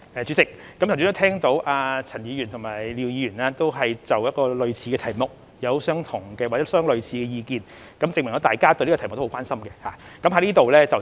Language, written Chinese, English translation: Cantonese, 主席，剛才陳議員和廖議員均就類似的題目表達相似的意見，證明大家都很關心這個題目。, President since both Mr CHAN and Mr LIAO have expressed similar views on a similar subject just now it shows that this is a matter of grave concern to Members